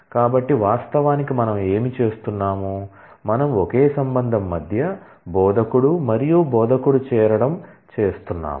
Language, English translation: Telugu, So, actually what we are doing, we are doing a join between the same relation; instructor and instructor